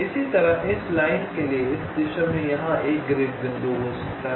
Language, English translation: Hindi, for this line, there may be one grid point here and there can be some grid points here right now